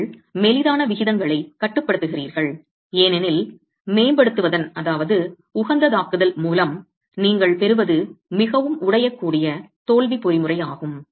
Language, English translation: Tamil, That you have cap on the slenderness ratios because what you get by optimizing is a very brittle failure mechanism